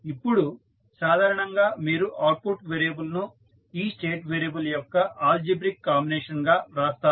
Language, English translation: Telugu, Now, in general, you will write output variable as algebraic combination of this state variable